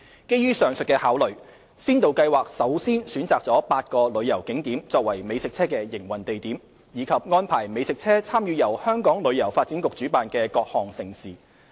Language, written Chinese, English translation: Cantonese, 基於上述考慮，先導計劃首先選擇了8個旅遊景點作為美食車的營運地點，以及安排美食車參與由香港旅遊發展局主辦的各項盛事。, In light of the above considerations eight tourist attractions were first chosen as the operating locations of food trucks under the Pilot Scheme and they are arranged to participate at various mega events organized by the Hong Kong Tourism Board HKTB